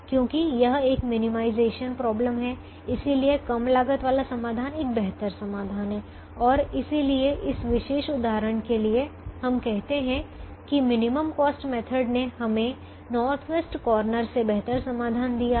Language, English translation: Hindi, because it's a minimization problem, the solution with the lower cost is a better solution and therefore, for this particular example, we can say that the minimum cost has given us a better solution than the north west corner